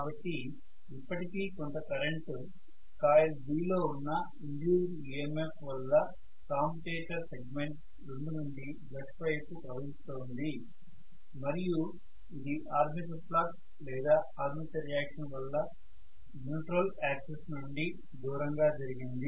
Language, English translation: Telugu, So there is some amount of current that is going to flow still from brush number 2 commutator segment number 2 towards the brush because of the induced EMF in the coil B which has kind of moved away from the neutral axis it is not its fault, the fault is of armature flux, armature reaction